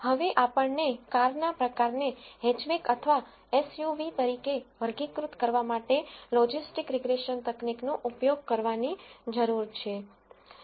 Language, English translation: Gujarati, Now, we need to use logistic regression technique to classify the car type as hatchback or SUV